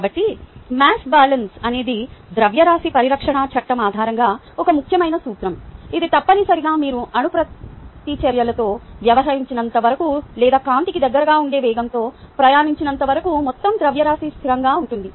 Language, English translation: Telugu, so the mass balance is an important principle, based on the law of conservation of mass, which is essentially that total mass is a constant as long as you dont with, dont deal with the nuclear reactions or travel at speeds close to that of light, and this is a system on which you focus your attention